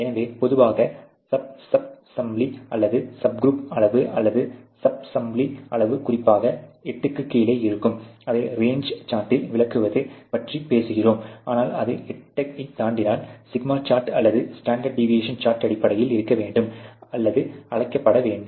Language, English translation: Tamil, So, typically the sub sample or the subgroup size or the subgroup sample sizes especially is below 8 when you talk about illustrating that on the range chart, but if it goes beyond 8 then obviously the σ chart or the standard deviation chart has to be based upon or has to be called for